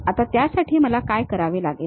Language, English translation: Marathi, Now, for that what I have to do